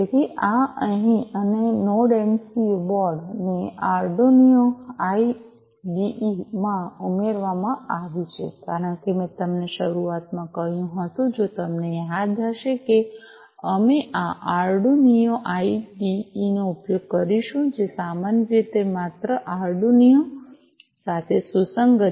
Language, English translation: Gujarati, So, this is given here and to add the Node MCU board to the Arduino IDE, because I told you earlier at the outset if you recall that we would be using this Arduino IDE, which typically is compliant with only Arduino